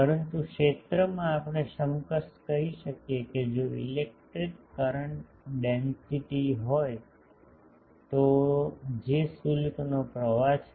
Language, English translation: Gujarati, But in the field wise we can equivalently say that if there is an electric current density which is flow of charges